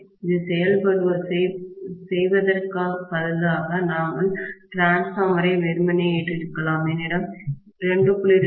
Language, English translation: Tamil, Rather than doing this, we could have simply loaded the transformer, let us say I have a 2